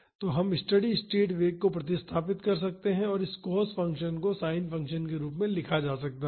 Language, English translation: Hindi, So, we can substitute the steady state velocity and this cos function can be written in terms of sin function